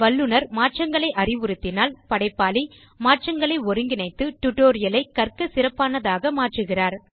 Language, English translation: Tamil, If the Expert suggest changes, the creator incorporate the changes and makes the tutorial better for learning